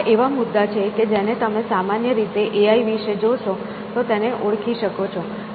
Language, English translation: Gujarati, So, these are the topics that one can identify if you look at AI in general